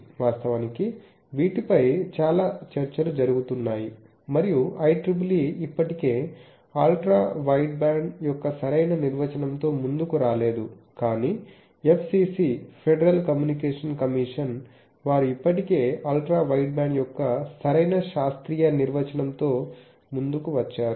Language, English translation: Telugu, Actually there is a lot of debate over these and IEEE is still now does not come up with the proper definition of a Ultra wideband, but FCC Federal Communication Commission they have already came up with a correct definition scientific definition of Ultra wideband